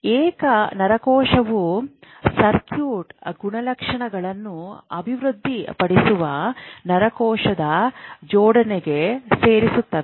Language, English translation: Kannada, Single neuron when they get into neuronal assembly they actually start developing circuit properties